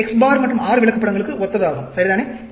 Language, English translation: Tamil, So, X bar chart and R chart